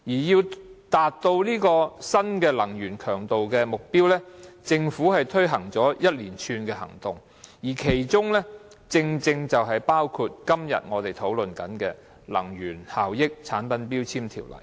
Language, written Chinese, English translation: Cantonese, 要達到這個新能源強度目標，政府推行了一連串行動，其中正正包括今天我們討論的《能源效益條例》。, To achieve this new energy intensity target the Government has taken a series of actions including dealing with the Energy Efficiency Ordinance under discussion today